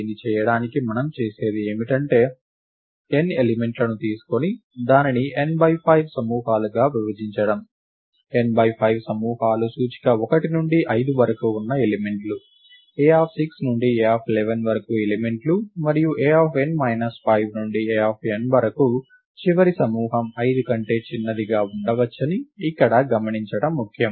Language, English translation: Telugu, To do this what we do is to take the n elements and divide it into n by 5 groups, the n by 5 groups are the elements with index 1 to 5, the elements a of 6 to a of 11 and so on upto a of n minus 5 to a of n